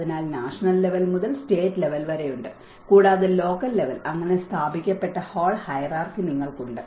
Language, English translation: Malayalam, So, there is from nation level to the state level, and you have the local level that whole hierarchy has been established